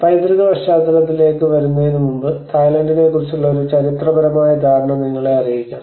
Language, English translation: Malayalam, Before coming into the heritage context, let us also brief you about a kind of historical understanding of Thailand